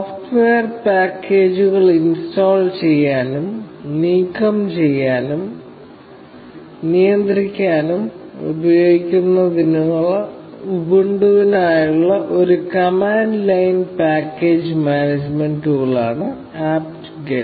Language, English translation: Malayalam, So, apt get is a command line package management tool for Ubuntu, which is used to install, remove, and manage software packages